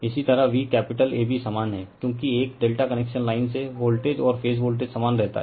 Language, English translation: Hindi, Similarly V capital AB same because your from a delta connection your line voltage and phase voltage remains same right